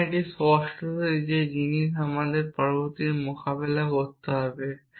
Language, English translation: Bengali, So, that is obviously the thing that we need to tackle next essentially